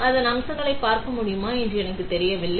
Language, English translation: Tamil, So, I am not sure whether you are able to see the features